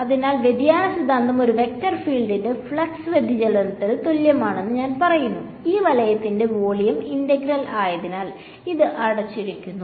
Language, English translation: Malayalam, So, divergence theorem said that the flux of a vector field is equal to the divergence of I mean the volume integral of this right so closed surface this